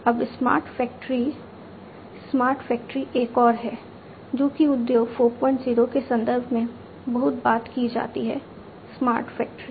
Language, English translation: Hindi, Now, smart factory smart factory is another one which is talked a lot in the context of Industry 4